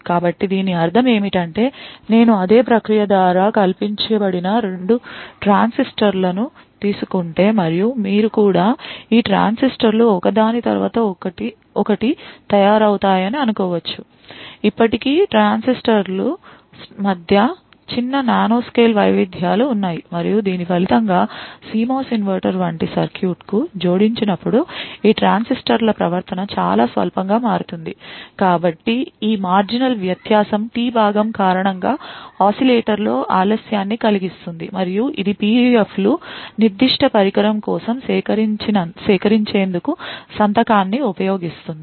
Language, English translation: Telugu, So, what I mean by this is that if I take 2 transistors which have been fabricated by exactly the same process and you could also, assume that these transistors are manufactured one after the other, still there are minor nanoscale variations between these transistors and as a result of this the behavior of these transistors when added to circuit such as CMOS inverter would vary very marginally, So, it is this marginal difference that causes delay in the oscillator due to the T part and this is what is used by PUFs to extract the signature for that particular device